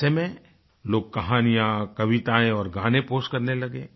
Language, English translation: Hindi, So, people started posting stories, poems and songs